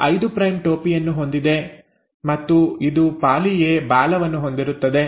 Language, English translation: Kannada, So it has a 5 prime cap, and it ends up having a poly A tail